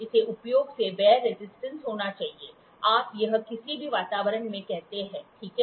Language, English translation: Hindi, It should have wear resistance from usage; you say this any environment, ok